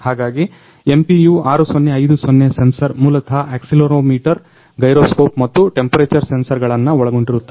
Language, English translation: Kannada, So, the basic things are that MPU 6050 sensor consists of accelerometer, gyroscope and temperature sensor